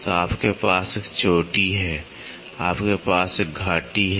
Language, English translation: Hindi, So, you have a peak you have a valley